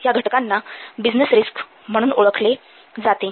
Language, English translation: Marathi, So, these factors will be termed as a business risk